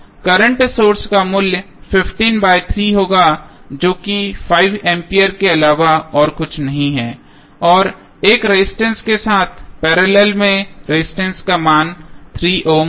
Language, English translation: Hindi, Current source value would be 15 by 3 that is nothing but 5 ampere and in parallel with one resistance that value of resistance would be 3 ohm